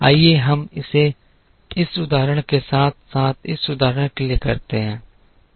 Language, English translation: Hindi, Let us do it for this instance as well as this instance